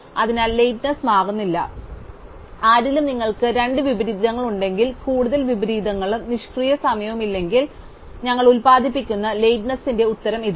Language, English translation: Malayalam, And therefore, the lateness does not change, so in somebody if you have two schedules which have more inversions and no idle time, then the answer in terms of the lateness we produce is the same